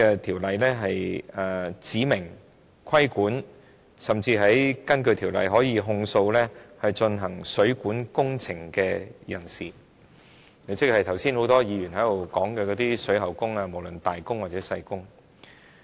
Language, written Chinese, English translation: Cantonese, 《條例草案》亦規管工人，甚至訂明可以控訴負責進行指明水管工程的水喉匠；剛才很多議員亦提到水喉技工，包括"大工"和"細工"。, The Bill also seeks to impose regulation on workers and even provides that the plumbers who are responsible for carrying out specified plumbing works may be charged . Just now many Members also talked about plumbing workers who are categorized into skilled and semi - skilled workers